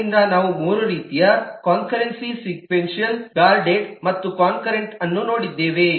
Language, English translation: Kannada, so we have seen three kinds of concurrency: sequential, guarded and concurrent